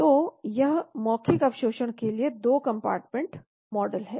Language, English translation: Hindi, And this is the 2 compartment model oral absorption